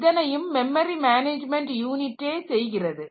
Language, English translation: Tamil, So, that is provided by the memory management unit